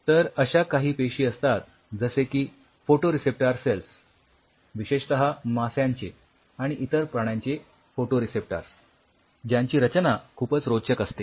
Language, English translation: Marathi, There are cells like photoreceptor cells especially photoreceptors of fishes and other animals whose structure is very interesting